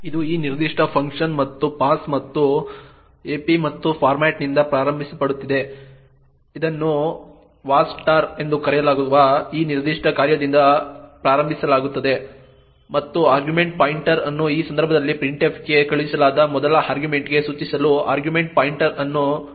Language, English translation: Kannada, It is initialised by this particular function va start and passed ap and format, it is initialised by this particular function known as va start and argument pointer is made to point to the first argument that is sent to printf in this case argument pointer is pointing to a